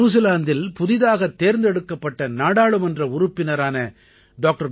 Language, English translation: Tamil, Newly elected MP in New Zealand Dr